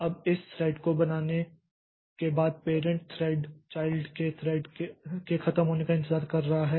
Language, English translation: Hindi, Now, after creating this thread, what the parent thread does is that it is waiting for this child thread to be over